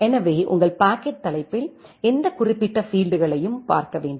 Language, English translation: Tamil, So, in your packet header which particular field to look into